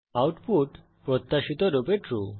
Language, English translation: Bengali, the output is True as expected